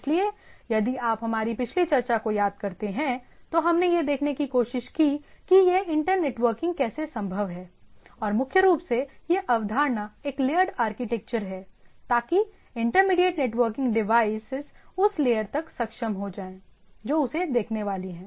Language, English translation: Hindi, So, if you recollect in our previous talks or discussion what we tried to look at it that how this inter networking is possible and primarily the concept is a layered architecture so that intermediate networking devices are enabled up to the layer which is upon which is it supposed to look at